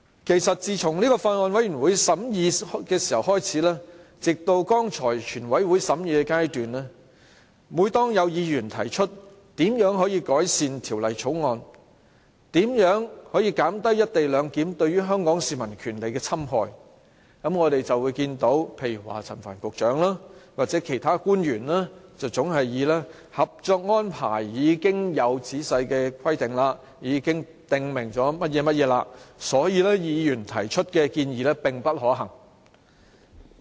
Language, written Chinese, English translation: Cantonese, 其實，自從法案委員會審議開始，直至剛才全體委員會審議階段，每當有議員提出如何改善《條例草案》，如何可以減低"一地兩檢"對於香港市民權利的侵害時，我們就會看到陳帆局長或其他官員總是回應指《合作安排》已經有仔細規定，已經訂明細節，所以，議員提出的建議並不可行。, In fact all the time since the Bills Committees scrutiny and the Committee stage just now whenever any Members make any suggestions on improving the Bill to minimize the infringement of the co - location arrangement on Hong Kong peoples rights Secretary Frank CHAN and other government officials have invariably dismissed their ideas as not workable saying that the cooperation arrangement for implementing co - location clearance already provides for every specific rule and detail